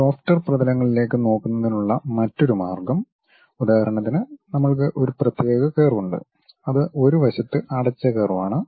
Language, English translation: Malayalam, The other way of looking at this lofter surfaces for example, we have one particular curve it is a closed curve on one side